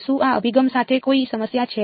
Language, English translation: Gujarati, Does is there any problem with this approach